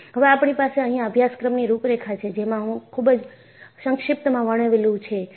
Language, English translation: Gujarati, Now, we will have an overall course outline, in a very brief fashion